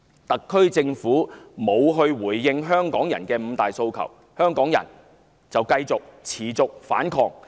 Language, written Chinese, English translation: Cantonese, 特區政府不回應香港人的"五大訴求"，香港人便繼續反抗。, Since their five demands remain unanswered by the SAR Government Hongkongers keep up the resistance